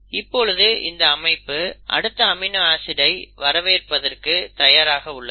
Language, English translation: Tamil, Now, the system is ready to bring in the next amino acids